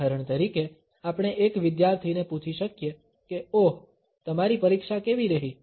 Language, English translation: Gujarati, For example, we can ask a student ‘oh how is your examination’